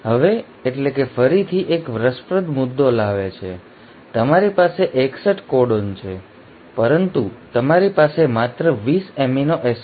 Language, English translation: Gujarati, Now that is, again brings one interesting point; you have 61 codons, but you have only 20 amino acids